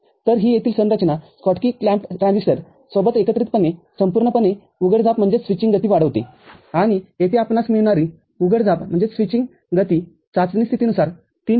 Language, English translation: Marathi, So, this configuration over here together with the Schottky clamped transistors used as a whole, increases the switching speed, and the switching speed that we are get here is of the order of 3 to 4